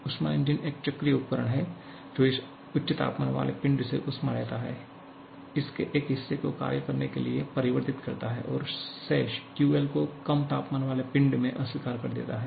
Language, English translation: Hindi, Your heat engine is a cyclic device which takes heat from this high temperature body converts a part of that to worth and rejects the remaining QL to the low temperature body